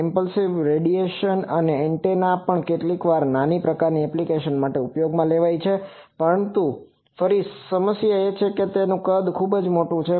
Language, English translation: Gujarati, Impulse radiating antenna also sometimes for this low type applications may be used, but again the problem is that it size is quite big